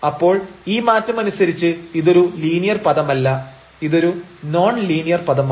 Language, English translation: Malayalam, So, then this is not the linear term in terms of this difference it is a non linear term here